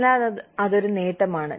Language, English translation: Malayalam, So, that is a benefit